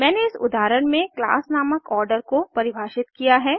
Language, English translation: Hindi, I have defined a class named Order in this example